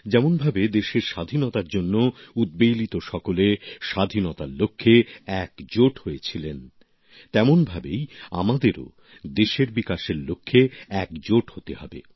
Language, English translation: Bengali, Just the way champion proponents of Freedom had joined hands for the cause, we have to come together for the development of the country